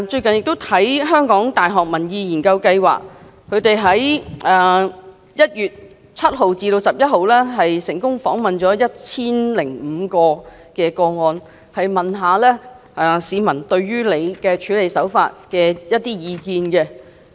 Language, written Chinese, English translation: Cantonese, 香港大學民意研究計劃在1月7日至11日成功訪問了 1,005 名市民對她處理此事的手法的意見。, The Public Opinion Programme of the University of Hong Kong successfully interviewed 1 005 members of the public between 7 January and 11 January for their views on her handling of the matter